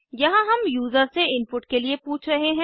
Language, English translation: Hindi, Here we are asking the user for input